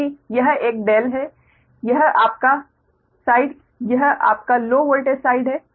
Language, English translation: Hindi, this is your, this side is your low voltage side